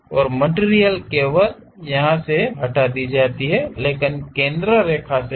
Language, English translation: Hindi, And material is only removed from here, but not from center line